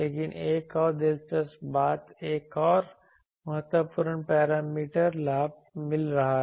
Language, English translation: Hindi, But another thing is that another interesting thing is another important parameter is finding gain